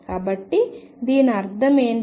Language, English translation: Telugu, So, what is that mean